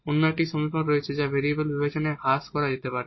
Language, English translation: Bengali, The other one there are equations which can be reduced to the separable of variables